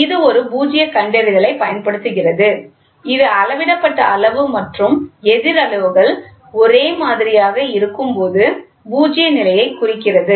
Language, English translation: Tamil, It uses a null detector which indicates the null condition when the measured quantity and the opposite quantities are the same